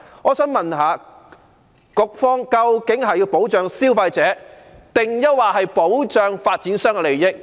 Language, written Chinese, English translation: Cantonese, 我想問問，究竟局方是希望保障消費者，還是保障發展商的利益？, May I ask the bureau if it hopes to protect consumers or it wants to protect the interests of developers?